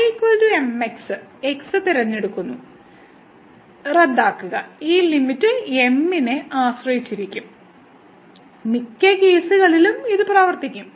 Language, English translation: Malayalam, So, choosing is equal to the will get cancel and this limit will depend on m, in most of the cases this will work